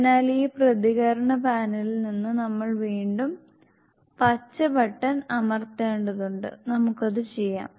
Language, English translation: Malayalam, So we have to again press the green button from this response panel, we will do this